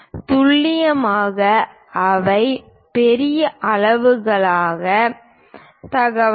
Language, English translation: Tamil, Precisely these are the large scale information